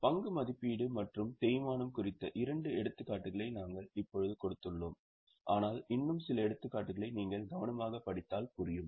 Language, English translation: Tamil, We have just given two examples of valuation of stock and depreciation, but some more examples you can find if you read carefully